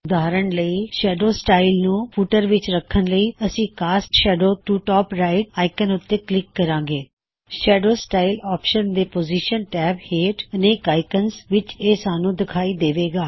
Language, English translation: Punjabi, For example , to put a shadow style to the footer, we click on the Cast Shadow to Top Right icon